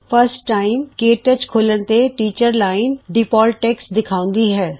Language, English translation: Punjabi, The first time you open KTouch, the Teachers Line displays default text